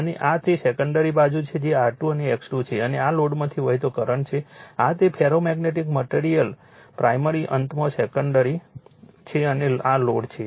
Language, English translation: Gujarati, And this is the secondary side that R 2 and X 2 and this is the current flowing through the load this is that your that ferromagnetic material primary ending secondary so, on and this is the load